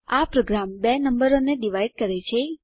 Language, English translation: Gujarati, This program divides two numbers